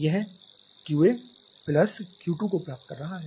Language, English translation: Hindi, It is receiving Q 2 plus this Q A